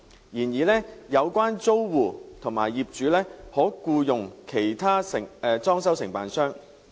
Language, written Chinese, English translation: Cantonese, 然而，有關租戶及業主可僱用其他裝修承辦商。, However the tenants and property owners concerned may engage other DCs